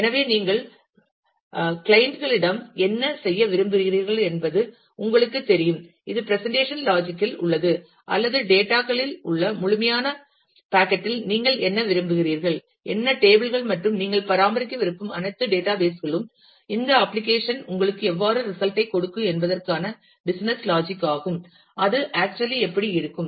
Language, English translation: Tamil, So, that you know what you want to do at the clients, and which is which is at the presentation layer, or what you want at the absolute packet which is on the data, what tables and all the databases that you want to maintain, and the business logic of how actually this application will give you the result, how actually it will